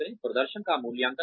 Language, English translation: Hindi, Appraise the performance